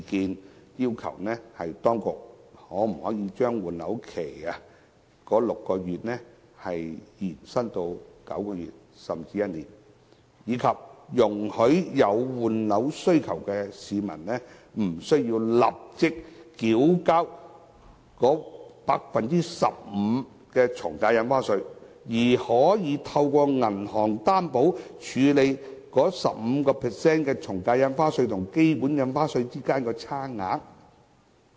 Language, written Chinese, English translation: Cantonese, 我們要求當局把6個月換樓期延伸至9個月甚至1年，以及容許有換樓需要的市民無須立即繳交 15% 的從價印花稅，以及可以透過銀行擔保，處理 15% 從價印花稅與基本印花稅之間的差額。, We ask the Administration to extend the statutory time limit for disposal of the original property from 6 months to 9 months or 12 months and allow people who have the need to replace their properties not to pay AVD at a rate of 15 % immediately . We also request for a bank guarantee of an amount equal to the difference between stamp duty payments calculated at the 15 % new AVD rate and the basic AVD rate